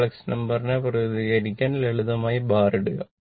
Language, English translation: Malayalam, Put simply bar to represent the complex number